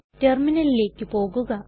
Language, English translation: Malayalam, Lets go to terminal